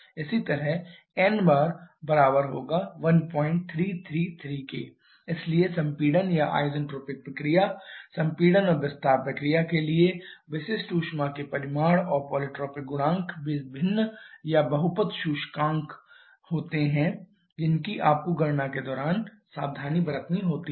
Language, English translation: Hindi, 333 so for compression or isentropic process compression and expansion processes the magnitude of specific heat and the poly tropic coefficients they are different or poly tropic index you have to be careful during calculation